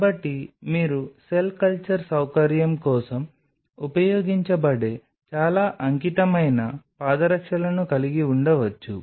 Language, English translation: Telugu, So, you could have very dedicated foot wears which could be used for the cell culture facility itself